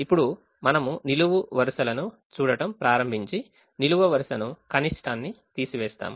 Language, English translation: Telugu, now we start looking at the columns and subtract the column minimum